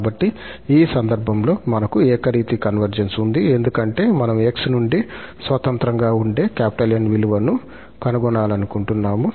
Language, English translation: Telugu, So, in this case, we have the uniform convergence because we are able to find this N which is free from x, it depends only on epsilon